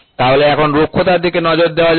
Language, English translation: Bengali, So, now, let us look into roughness